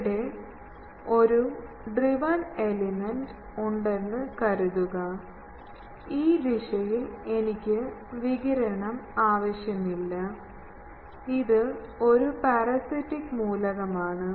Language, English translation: Malayalam, Suppose I have a, this is the driven element, this is a, this direction I do not want radiation, this is a parasitic element